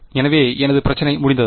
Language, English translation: Tamil, So, is my problem done